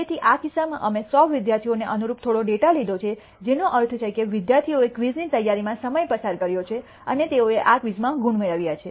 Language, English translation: Gujarati, So, in this case we have taken some data corresponding to 100 students for which I mean students have spent time preparing for a quiz and they have obtained marks in that quiz